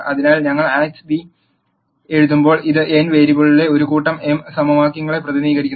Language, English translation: Malayalam, So, when we write Ax equal to b, this represents a set of m equations in n variables